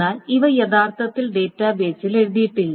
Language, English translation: Malayalam, So nothing has been changed into the database